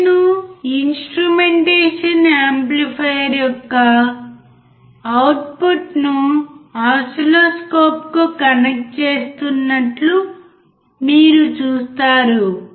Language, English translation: Telugu, You will see that he has connected the output of the instrumentation amplifier to the oscilloscope